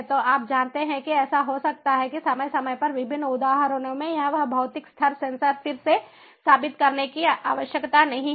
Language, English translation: Hindi, and so you know it might so happen that periodically, at different instances, instances of time, it is not required to prove that physical level sensor again